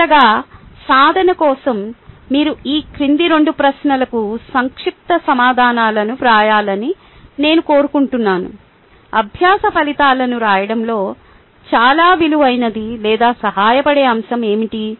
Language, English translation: Telugu, as a last exercise, i would like you to write down brief answers for the following two questions: what is a most valuable or helpful about writing learning outcomes and what is the most confusing aspect about writing learning outcomes